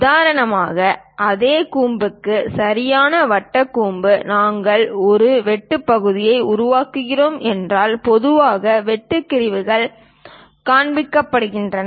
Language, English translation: Tamil, For example, for the same cone the right circular cone; if we are making a cut section, usually cut sections are shown